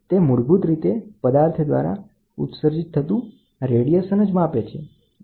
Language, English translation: Gujarati, It essentially measures the amount of radiation emitted by an object